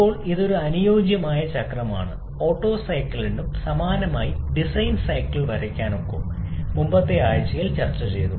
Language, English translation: Malayalam, Now this is an ideal cycle, the Otto cycle similarly can also draw the Diesel cycle as we have already discussed in the previous week